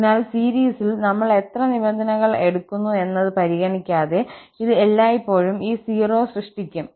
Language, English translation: Malayalam, So, it will always produce this 0 irrespective of how many terms we are taking in the series